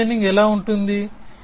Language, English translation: Telugu, So, what would backward chaining be like